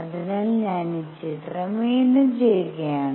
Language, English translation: Malayalam, So, I will make this picture again